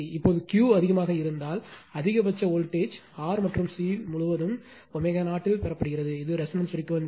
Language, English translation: Tamil, Now, if Q is high, maximum voltage are also obtained across R and C at omega 0 that is your resonance frequency right